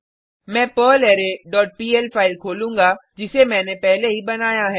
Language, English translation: Hindi, I will open perlArray dot pl file which I have already created